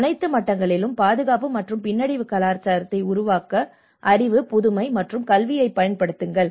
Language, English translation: Tamil, Use knowledge, innovation and education to build a culture of safety and resilience at all levels